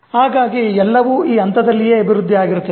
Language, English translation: Kannada, So all are developed at that stage itself